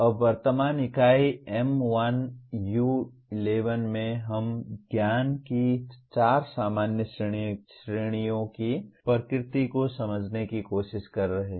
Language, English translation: Hindi, Now, in present unit M1U11 we are trying to understand the nature of four general categories of knowledge